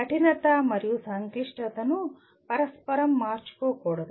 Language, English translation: Telugu, Difficulty and complexity should not be interchangeably used